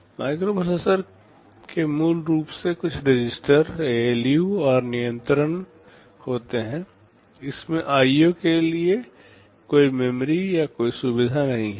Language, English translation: Hindi, Now, a microprocessor contains basically some registers, ALU and control; it does not contain any memory or any facility for IO